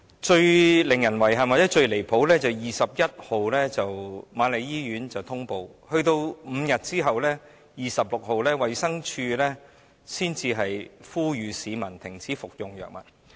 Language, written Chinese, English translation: Cantonese, 最令人遺憾或最離譜的是瑪麗醫院在6月21日通報，在5天後的6月26日，衞生署才呼籲市民停止服用該藥物。, But the most regrettable or outrageous situation is that after QMH made a report on 21 June it was not until 26 June ie . five days later that DH called upon the public not to take that drug